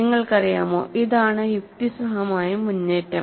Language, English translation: Malayalam, You know, this is the logical step forward